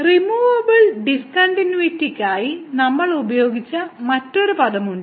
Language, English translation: Malayalam, So, there is another term we used for removable discontinuity